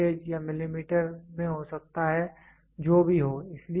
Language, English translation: Hindi, It can be in voltage, it can be in millimeter, whatever it is